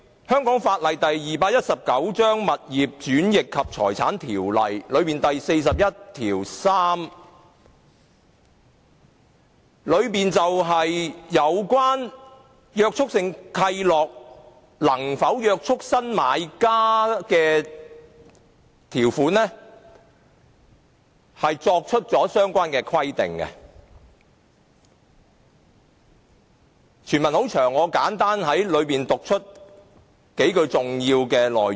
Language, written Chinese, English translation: Cantonese, 香港法例第219章《物業轉易及財產條例》第413條就有關約束性契諾能否約束新買家的條款作出相關規定，由於全文很長，我會簡單讀出數句重要內容。, Section 413 of the Conveyancing and Property Ordinance Cap . 219 prescribes relevant provisions on the terms stipulating whether the Restrictive Covenants concerned are binding on the new buyers . As the full text is lengthy I will just briefly read out a few key sentences